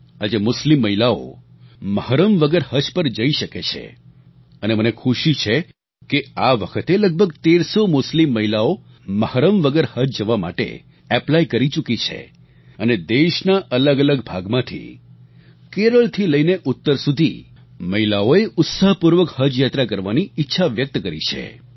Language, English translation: Gujarati, Today, Muslim women can perform Haj without 'mahram' or male Guardian and I am happy to note that this time about thirteen hundred Muslim women have applied to perform Haj without 'mahram' and women from different parts of the country from Kerala to North India, have expressed their wish to go for the Haj pilgrimage